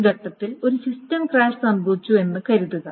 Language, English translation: Malayalam, Suppose the system crash happened at this stage